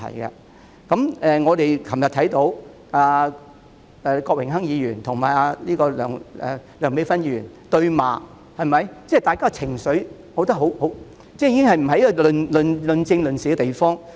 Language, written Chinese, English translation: Cantonese, 昨天，我們看到郭榮鏗議員與梁美芬議員對罵，我認為大家也有情緒，這已經變成不是論政、論事的地方。, Yesterday we saw Mr Dennis KWOK quarrel with Dr Priscilla LEUNG . I think Members have become emotional and the legislature can no longer serve as a platform for political debates and discussions